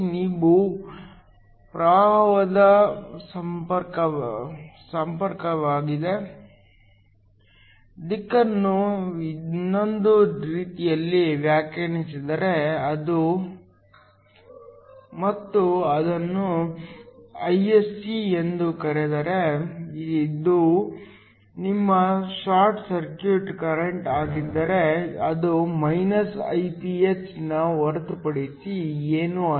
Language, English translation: Kannada, If you define the conventional direction of current the other way and call it Ise, which is your short circuit current then i s e is nothing but minus of Iph